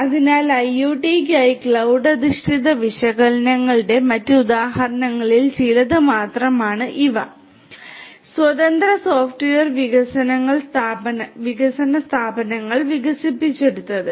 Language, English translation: Malayalam, So, these are few of the other examples of the use of you know cloud based analytics for IoT and these have been developed by independent software development firms